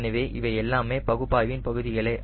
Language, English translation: Tamil, so all these are part of analysis